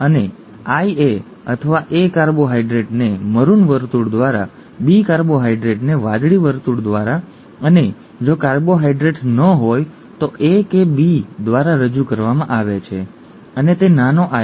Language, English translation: Gujarati, And I A or an A carbohydrate is represented by a maroon circle, a B carbohydrate by or a red circle, B carbohydrate by a blue circle and if there are no carbohydrates neither A nor B and it is small i